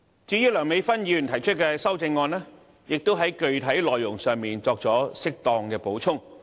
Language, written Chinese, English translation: Cantonese, 至於梁美芬議員提出的修正案，亦在具體內容上，作出適當補充。, The amendment by Dr Priscilla LEUNG has also specifically supplemented the contents of the original motion